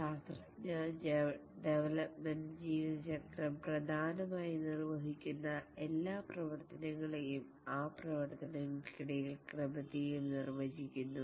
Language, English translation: Malayalam, The software development lifecycle essentially defines all the activities that are carried out and also the ordering among those activities